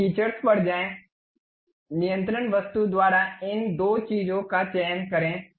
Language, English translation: Hindi, So, go to features, select these two things by control object